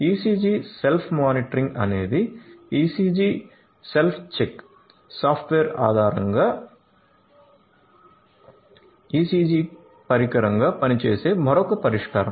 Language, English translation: Telugu, ECG Self Monitoring is another solution which serves as ECG device, based on the “ECG Self Check” software